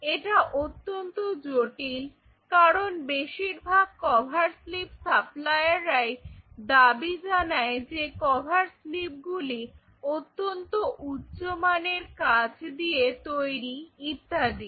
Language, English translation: Bengali, This is something very tricky because most of the cover slips suppliers they will claim that you know a very good quality glass and all these kinds of things